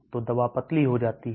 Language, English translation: Hindi, So the drug gets diluted